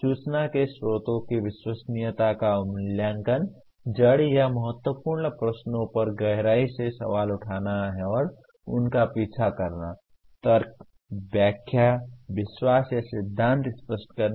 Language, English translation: Hindi, Evaluating the credibility of sources of information; questioning deeply raising and pursuing root or significant questions; clarifying arguments, interpretations, beliefs or theories